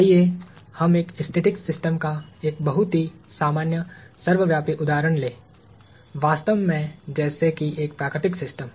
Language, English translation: Hindi, Let us take a very common ubiquitous example of a static system, a natural system as a matter of fact